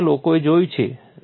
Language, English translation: Gujarati, So, what people have thought